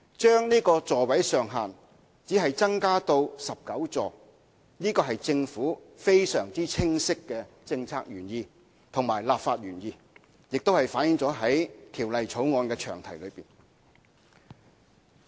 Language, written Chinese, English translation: Cantonese, 將小巴座位上限只增加至19個，是政府非常清晰的政策原意和立法原意，亦反映在《條例草案》的詳題中。, Increasing the maximum seating capacity of light buses to 19 is an explicit policy intent and legislative intent of the Government which has also been reflected in the long title of the Bill